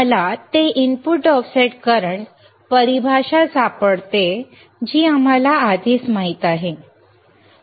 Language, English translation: Marathi, I find that input offset current definition which we already know right